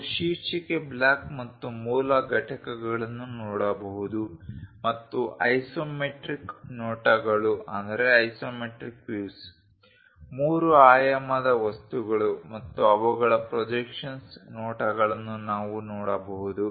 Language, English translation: Kannada, we can see the title block and the basic components we can see the isometric views, the three dimensional objects and their projectional views we can see it